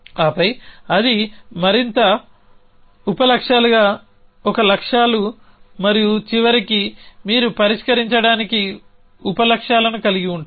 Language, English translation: Telugu, And then that is a goals into more sub goals and eventually you have trivially sub goals to solve